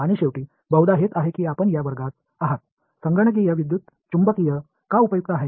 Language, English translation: Marathi, And finally, this is probably why you are in the class, why is computational electromagnetics useful